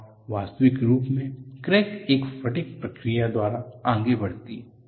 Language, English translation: Hindi, And in the actual flight, the crack propagates by a fatigue mechanism